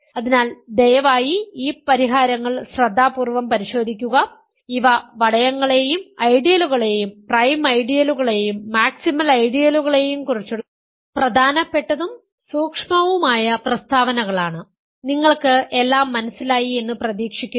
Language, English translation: Malayalam, So, please go over these solutions carefully, these are important and subtle statements about rings and ideals and prime ideals and maximal ideals and hopefully you will understand everything that I said after watching it if needed